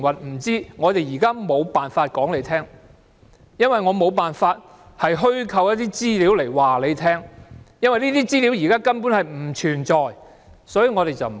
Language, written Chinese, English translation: Cantonese, 不知道。現時政府無法相告，因為沒有辦法虛構一些資料來告訴你，因為這些資料現在根本不存在，所以無法相告。, The Government cannot tell you now because it cannot fabricate some information for you; the information does not exist and that is why it cannot tell you . Deputy President this is strange indeed